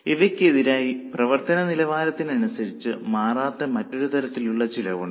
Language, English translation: Malayalam, As against this, there is another type of cost which does not change with level of activity